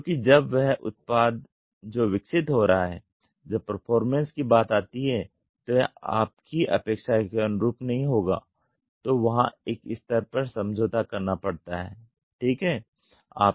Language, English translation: Hindi, Because when the product which is getting developed when it comes to performance it will not be up to your expectation; so, there has to be a trade off ok